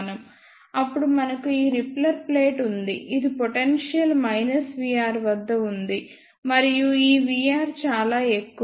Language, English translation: Telugu, Then we have this repeller plate which is at the potential minus v r; and this v r is very very high